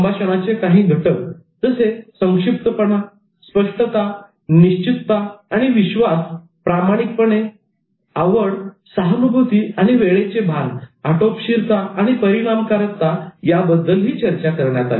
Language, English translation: Marathi, The components of communication were also discussed such as conciseness and clarity, conviction and confidence, genuineness, interest, empathy and timing sense, brevity and effectiveness